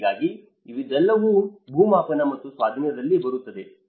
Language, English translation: Kannada, So, all this comes in the land survey and acquisition